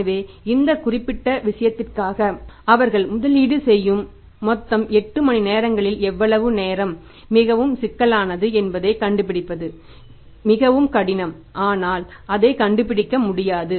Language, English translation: Tamil, So, how much time of their total times of 8 hours they are investing for this particular thing to find out this is some time very very cumbersome is very difficult but is not impossible it can be found out